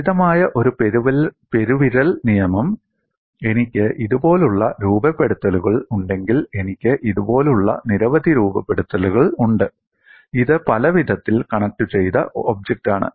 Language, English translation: Malayalam, One simple thumb rule is, if I have cutouts like this, I have many cutouts like this; this is the multiply connected object